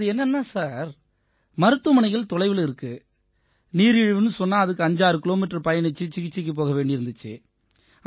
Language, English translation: Tamil, It is like this Sir, hospitals are far away and when I got diabetes, I had to travel 56 kms away to get treatment done…to consult on it